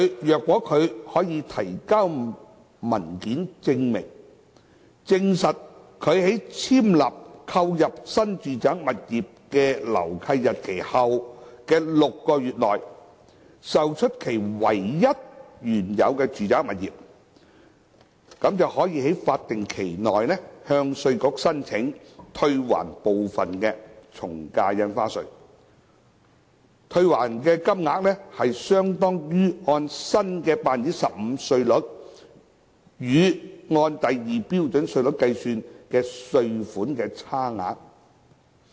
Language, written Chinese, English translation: Cantonese, 如果他可以提交證明文件，證實他在簽立購入新住宅物業的樓契日期後的6個月內，售出其唯一的原有住宅物業，可於法定期內向稅務局申請退還部分從價印花稅，退還的金額相當於按 15% 新稅率與按第2標準稅率計算的稅款差額。, Under the relevant mechanism a HKPR who acquires a new residential property to replace hisher only original residential property will be subject to NRSD in the first instance but heshe may apply to IRD within the statutory time limit for a partial refund of the AVD paid upon proof that hisher only original property has been disposed of within six months from the date of executing the assignment of the new residential property . The amount to be refunded is the stamp duty paid at the new rate of 15 % in excess of that computed at Scale 2 rates